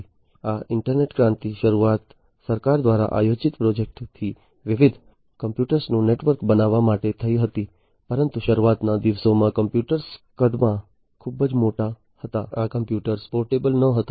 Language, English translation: Gujarati, So, this internet revolution started with a government sponsored project to build a network of different computers, but in the early days the computers used to be very big in size, these computers were not portable